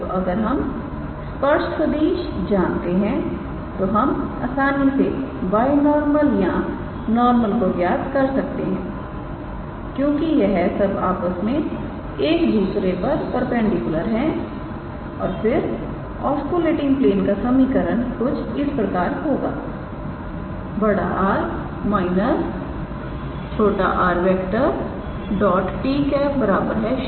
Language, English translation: Hindi, So, if you know the tangent vector we can easily calculate binormal or normal because they are mutually perpendicular to one another and then the equation of the oscillating plane will be capital R minus small r dot t